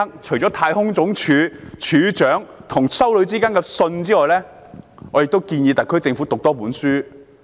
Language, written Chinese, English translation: Cantonese, 除了太空總署署長和一名修女之間的信件外，我也建議特區政府讀一本書。, In addition to the letters between the head of NASA and a nun I would also like to introduce a book to the SAR Government